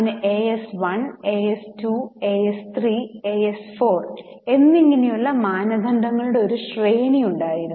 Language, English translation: Malayalam, So, we had a series of standards like AS1, AS2, AS3, S 4 and so on